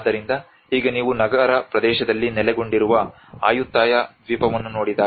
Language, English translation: Kannada, So now when you look at the Ayutthaya island which is located in the urban area